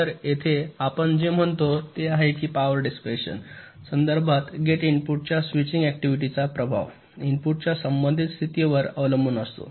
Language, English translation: Marathi, so we here, what we says is that the impact of the switching activity of a gate input with respect to power dissipation depends on the relative position of the input